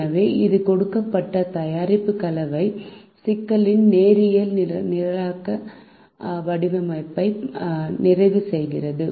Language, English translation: Tamil, so this completes the linear programming formulation of the given product mix problem